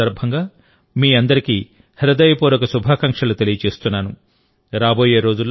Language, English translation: Telugu, I extend warm greetings to all of you on these festivals